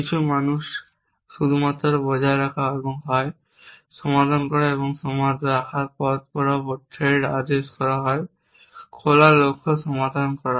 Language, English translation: Bengali, Some people only maintain and is in the, of to be solve and the keep is ordering threat along the way is in the open goals to be solve